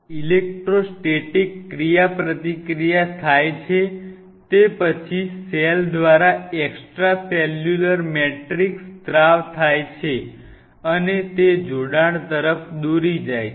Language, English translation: Gujarati, The electrostatic interaction which happens right, followed by an extracellular matrix secreted by the cell and leading to the attachment